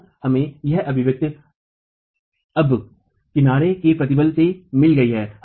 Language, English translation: Hindi, So, we have got this expression now of the edge compressive stress